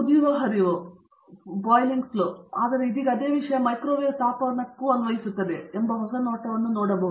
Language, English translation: Kannada, Pool boiling flow boiling etcetera, but now same thing applied to microwave heating as taken a new view and so on